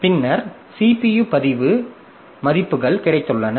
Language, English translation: Tamil, Then we have got the CPU registered values